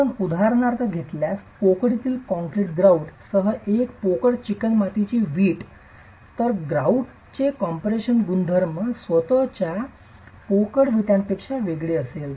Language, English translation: Marathi, If you take for example a hollow clay brick block with concrete grout in the cavity then the compression properties of the grout will be different from that of the hollow brick itself